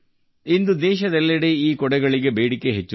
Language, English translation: Kannada, Today the demand for these umbrellas is rising across the country